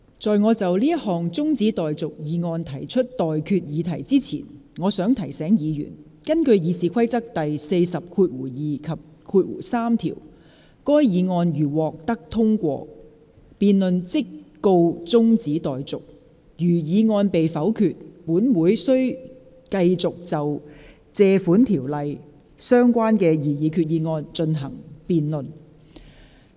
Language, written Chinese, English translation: Cantonese, 在我就這項中止待續議案提出待決議題之前，我想提醒議員，根據《議事規則》第402及3條，該議案如獲得通過，辯論即告中止待續；如議案被否決，本會便須繼續就根據《借款條例》動議的擬議決議案進行辯論。, Before I put the question on this adjournment motion I wish to remind Members that in accordance with Rule 402 and 3 of the Rules of Procedure if the motion is agreed to the debate shall stand adjourned; if the motion is negatived Council shall continue the debate on the proposed resolution under the Loans Ordinance